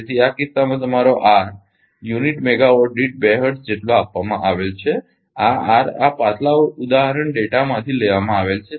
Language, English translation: Gujarati, So, in this case your ah R is equal to given 2 hertz per unit megawatt this R is taken from this previous example data